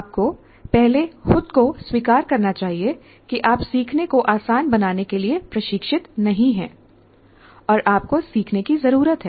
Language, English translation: Hindi, That first thing you should acknowledge to yourself that I'm not trained in facilitating learning and I need to learn